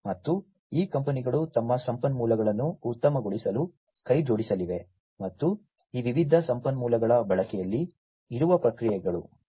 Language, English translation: Kannada, And these companies are going to join hands for optimizing their resources, and the processes that are there, in the use of these different resources